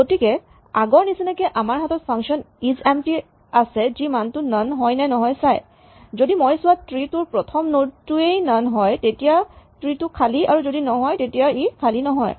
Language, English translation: Assamese, So, given this as before we have the function isempty which basically checks if the value is none, if I start looking at a tree and the very first node says none then that tree is empty otherwise it is not empty